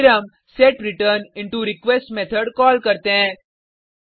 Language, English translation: Hindi, Then we call the setReturnIntoRequest method